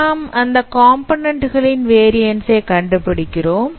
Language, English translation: Tamil, Now you consider the variance of this component